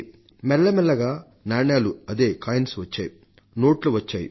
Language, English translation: Telugu, Then gradually came currency, coins came, notes came